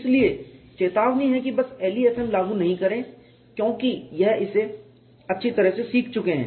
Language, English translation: Hindi, So, the warning is simply do not apply LEFM because that you have learn it thoroughly